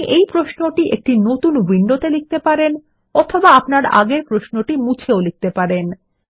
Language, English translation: Bengali, We can type this query in a new window, or we can overwrite it on the previous query